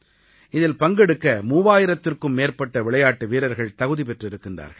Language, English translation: Tamil, And more than 3000 players have qualified for participating in these games